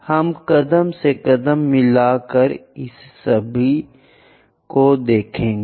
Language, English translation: Hindi, We will see that step by step